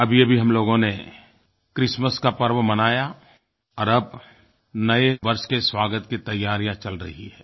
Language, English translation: Hindi, We celebrated Christmas and preparations are now on to ring in the New Year